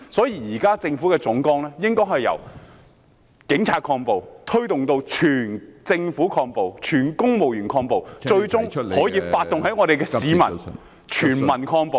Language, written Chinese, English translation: Cantonese, 因此，政府現時的總綱應該是由警察抗暴，推動至整個政府、全體公務員抗暴，最終可發動全民抗暴。, Hence the Government should now switch its general principle from having the Police to counter violence to mobilizing the entire Government and all civil servants to counter violence and it should eventually be advanced to countering violence by all the people